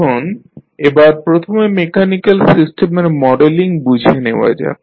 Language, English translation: Bengali, Now, let us first understand the modeling of mechanical systems